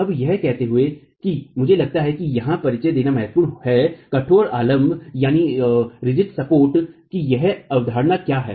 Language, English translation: Hindi, Now, having said that, I think it is important to introduce here what is this concept of a rigid support